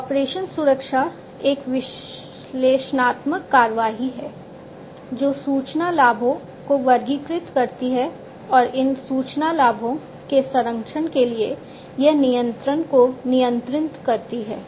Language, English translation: Hindi, Operation security is an analytical action, which categorizes the information benefits and for protection of these information benefits, it regulates the control